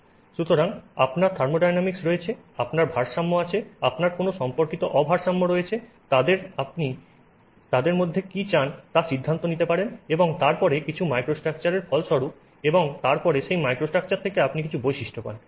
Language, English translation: Bengali, So, you have the thermodynamics, you have equilibrium, you have any related non equilibrium, you can decide what you want between them and then that results in some microstructure and then from that microstructure you get some properties